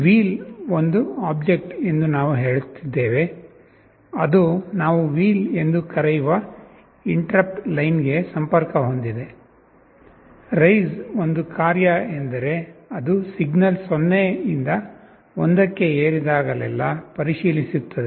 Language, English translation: Kannada, We are saying that wheel is that object, which is connected to the interrupt line that we called “wheel”, rise is a function means it checks every time the signal rises from 0 to 1